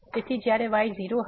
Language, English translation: Gujarati, So, this when will be 0